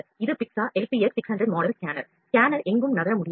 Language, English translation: Tamil, This is Picza LPX600 model scanner the scanner cannot move anywhere